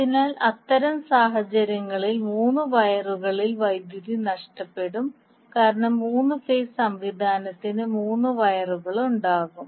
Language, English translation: Malayalam, So in that case the power loss in three wires because for the three phase system will have three wires